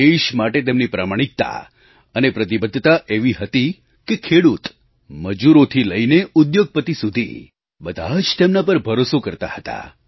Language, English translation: Gujarati, Such was his sense of honesty & commitment that the farmer, the worker right up to the industrialist trusted him with full faith